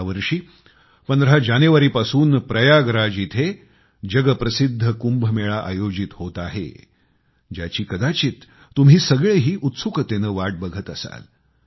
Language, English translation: Marathi, This time the world famous Kumbh Mela is going to be held in Prayagraj from January 15, and many of you might be waiting eagerly for it to take place